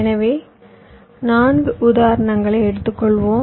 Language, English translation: Tamil, so lets take as example four